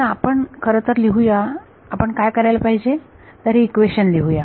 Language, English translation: Marathi, So, let us write actually what we should we do is write down the equation